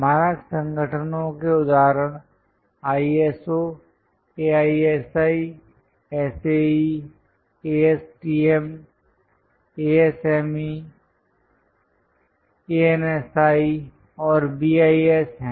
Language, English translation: Hindi, Examples for standard organizations are ISO, AISI, SAE, ASTM, ASME, ANSI and BIS